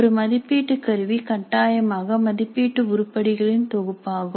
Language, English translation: Tamil, Now an assessment instrument essentially is a collection of assessment items